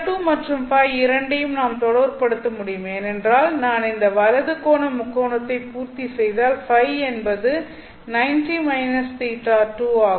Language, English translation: Tamil, And I know that theta 2 and 5 can be related because if I complete this right angle triangle, right angle triangle, then I know that 5 is given by 90 minus theta 2